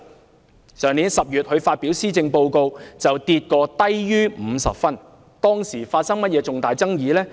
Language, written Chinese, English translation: Cantonese, 她於去年10月發表施政報告後，評分曾跌至低於50分，當時發生了甚麼重大爭議呢？, After the presentation of the Policy Address in last October her approval rating dropped below 50 points . What happened back then?